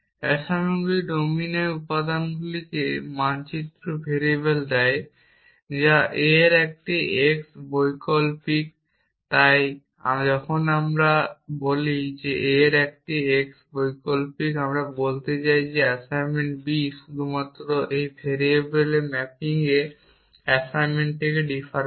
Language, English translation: Bengali, Assignments give map variables to elements in the domine that is an x variant of a so when we say an x variant of a we mean that the assignment B defers from the assignment a only in the mapping of these variable x